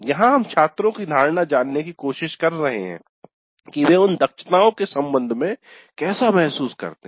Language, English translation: Hindi, Here we are trying to get the perception of the students how they feel with respect to those competencies